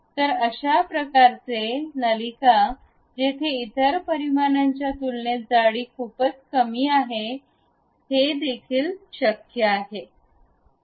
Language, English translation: Marathi, So, this kind of ducts where the thickness is very small compared to other dimensions can also be possible